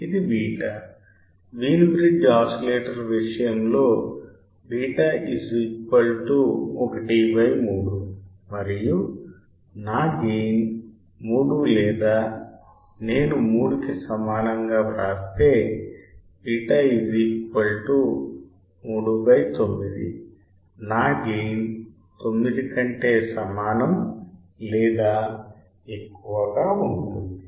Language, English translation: Telugu, The beta; beta equals to 1 by 3 in case of Wein bridge oscillator and my gain is 3 or if I write greater than equal to 3, then beta equals to 3 by 9; my gain would be greater than equal to 9